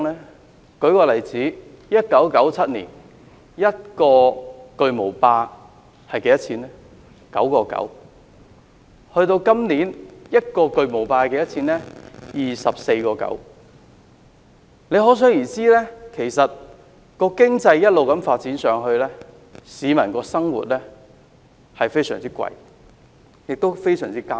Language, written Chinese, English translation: Cantonese, 我舉個例子 ，1997 年，一個巨無霸要 9.9 元，到了今年，一個巨無霸要 24.9 元，可想而知，經濟一直發展下去，市民生活開支會非常昂貴，也非常艱難。, Let me cite an example . In 1997 a Big Mac cost 9.9 but it costs 24.9 this year . So we can see that as the economy develops the living cost here becomes very expensive and peoples livelihood is tough